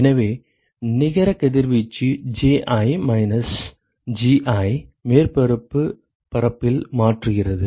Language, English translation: Tamil, So the net radiation exchanges Ji minus Gi into the surface area ok